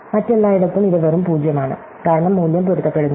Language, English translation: Malayalam, So, everywhere else, it is just 0, because the values do not match